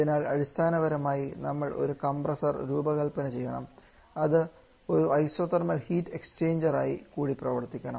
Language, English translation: Malayalam, So basically have to design a compressor which will also act as an isothermal heat exchanger which is not possible in practice